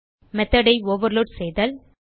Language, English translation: Tamil, The process is called method overloading